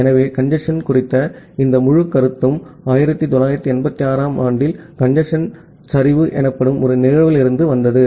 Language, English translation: Tamil, So, this entire concept of congestion came in 1986 from a event called a congestion collapse